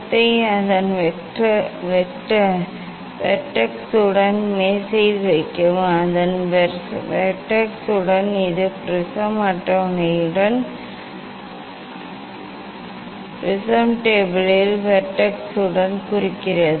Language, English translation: Tamil, it is telling that place the prism on table with its vertex, with its vertex means this with that of the prism table, with the vertex that of the prism table